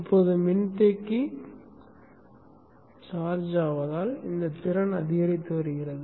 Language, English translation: Tamil, Now as the capacitor is charging up, this potential is rising